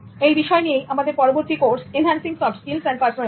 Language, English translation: Bengali, Welcome back to my course on enhancing soft skills and personality